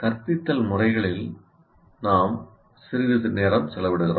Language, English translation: Tamil, Now we spend a little time on instructional methods